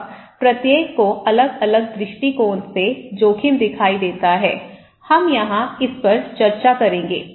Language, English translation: Hindi, Now, each one see risk from different perspective, we will discuss this here okay